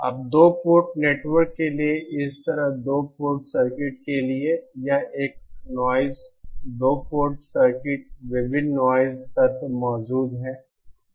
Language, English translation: Hindi, Now for 2 port network like this so for 2 port circuits, this is a noisy 2 port circuit various noise elements present